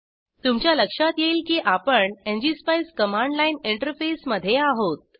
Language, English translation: Marathi, Here you will notice that we have entered into the ngspice command line interface